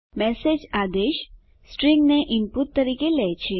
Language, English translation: Gujarati, message command takes string as input